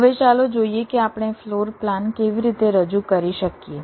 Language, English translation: Gujarati, now let see how we can represent a floor plan